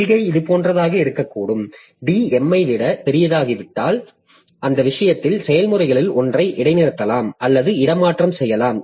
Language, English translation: Tamil, So, policy can be like this, that if D becomes greater than M, in that case, you suspend or swap out one of the processes